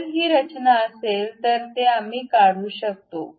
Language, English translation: Marathi, If it is a construction one we can remove that